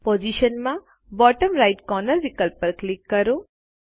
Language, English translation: Gujarati, In Position, click the bottom right corner option